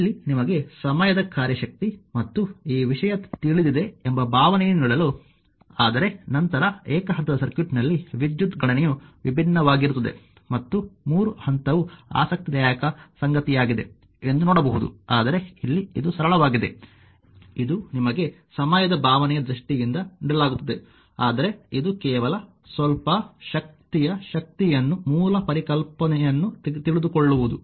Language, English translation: Kannada, Here just to give you a feeling of that you know time function power and this thing, but later you will see that in single phase circuit we will power your power computation is different and 3 phase also something interesting, but here it is it is here simple it is given in terms of time function just to give you a feeling, but that this is just to know little bit of energy power the basic concept